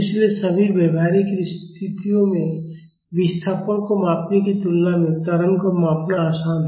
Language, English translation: Hindi, So, in all practical situations measuring acceleration is easier than measuring displacement